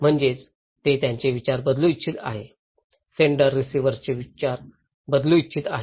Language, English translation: Marathi, That means they want to change the mind, senders wants to change the mind of receiver’s